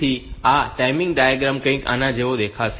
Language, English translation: Gujarati, So, the timing diagram will be looking something like this